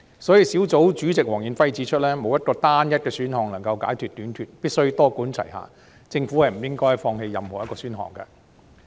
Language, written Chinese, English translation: Cantonese, 所以，專責小組主席黃遠輝指出，沒有單一選項能夠解決土地短缺問題，政府必須多管齊下，不應該放棄任何一個選項。, Therefore as pointed out by Mr Stanley WONG Chairman of the Task Force there is no single land supply option to eradicate the land shortage problem . The Government must adopt a multi - pronged approach and no option should be given up